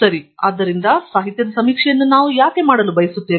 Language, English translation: Kannada, Okay So, why do we want to do literature survey at all